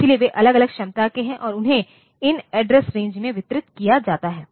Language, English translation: Hindi, So, they are of different capacity capacities and they are distributed over these address ranges